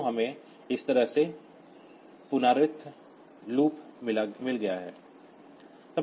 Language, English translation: Hindi, So, with we have got iterative loops like this